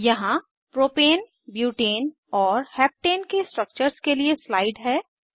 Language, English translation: Hindi, Here is slide for the structures of Propane, Butane and Heptane